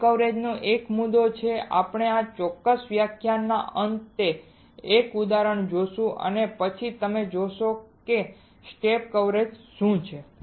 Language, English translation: Gujarati, The step coverage is an issue we will see one example at the end of this particular lecture and then you will see that what is a step coverage